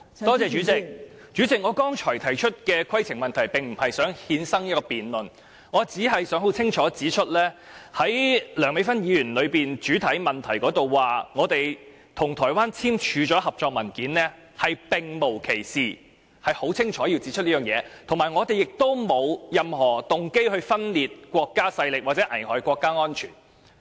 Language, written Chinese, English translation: Cantonese, 代理主席，我剛才提出的規程問題，並不是想衍生一項辯論，我只想清楚指出，在梁美芬議員的主體質詢中，提到我們與台灣簽署了合作文件，是並無其事的，我是想清楚指出這一點，以及我們亦沒有任何動機分裂國家或危害國家安全。, Deputy President the point of order I raised just now is not meant to cause a debate . I only want to point out clearly that the allegation made by Dr Priscilla LEUNG in the main question about our signing of a cooperation document with an organization in Taiwan is not true . I just want to point this out clearly and say that we have not any motive of secession or endangering national security